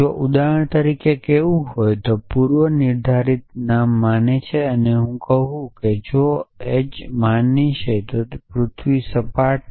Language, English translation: Gujarati, So, if want to say for example, the predicate name believes and if I say john believe that the earth is flat